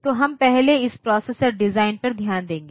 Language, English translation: Hindi, So, we will first look into this processor design